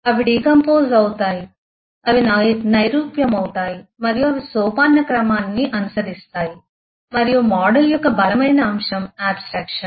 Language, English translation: Telugu, They decompose, they abstract and they follow the hierarchy and the strongest eh element of a model is abstraction